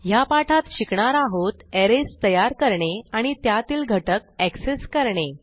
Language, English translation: Marathi, In this tutorial, you will learn how to create arrays and access elements in arrays